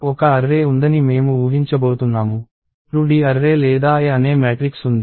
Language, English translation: Telugu, So, I am going to assume that, there is an array; there is a 2D array or a matrix called A